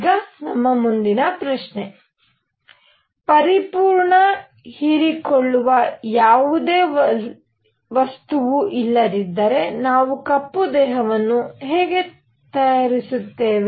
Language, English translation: Kannada, Now next question is; if there is no material that is a perfect absorber; how do we make a black body